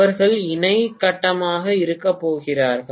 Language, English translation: Tamil, They are going to be co phasal